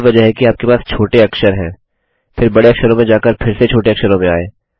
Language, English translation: Hindi, Which is why you have lower case, then going to upper case, back to lower case